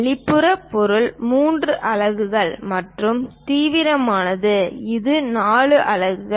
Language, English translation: Tamil, The outside object, 3 units and the extreme one this is 4 units